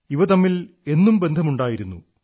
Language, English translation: Malayalam, There has always been a deep connect between the two